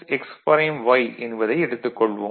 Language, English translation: Tamil, So, this is y right